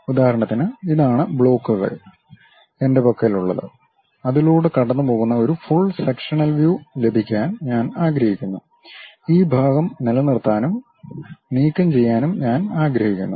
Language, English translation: Malayalam, For example, this is the blocks, block what I have; I would like to have a full sectional view passing through that, and this part I would like to retain and remove this part